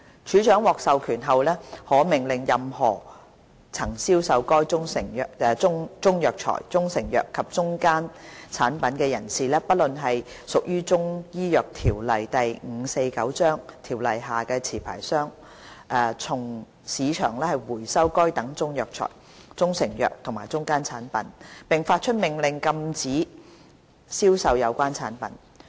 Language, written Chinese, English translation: Cantonese, 署長獲授權後，可命令任何曾銷售該中藥材、中成藥及中間產品的人士，不論是否屬於《中醫藥條例》下的持牌商，從市場收回該等中藥材、中成藥和中間產品，並發出命令禁止銷售有關產品。, The Director will be empowered to order any person CMO or not who has sold Chinese herbal medicines proprietary Chinese medicines and intermediate products to recall Chinese herbal medicines proprietary Chinese medicines and intermediate products from the market and to prohibit by order the sale of the same